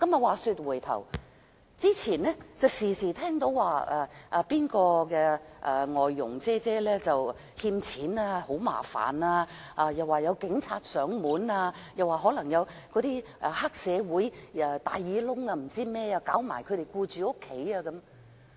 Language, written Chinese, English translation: Cantonese, 話說回頭，以前經常聽人提及"外傭姐姐"欠人錢，很麻煩；又說有警察上門，又可能有黑社會、"大耳窿"等騷擾其僱主家庭。, Back to the point in the past we often learnt about foreign domestic helpers causing troubles by borrowing money where the police officers would come to the door or triad members and loan sharks would harass their employers families